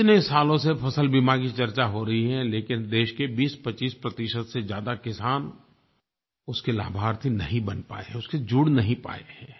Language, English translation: Hindi, Even though discussions have been happening on crop insurance for so many years, not more than 2025 per cent of the farmers across the country have become its beneficiary and get connected with the same